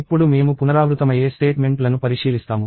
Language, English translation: Telugu, We will look at repetitive statements